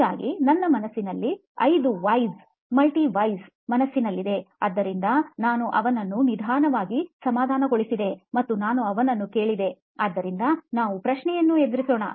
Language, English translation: Kannada, So I had 5 Whys in mind, the multi Whys in mind, so I took him down slowly and I asked him, so let’s face a question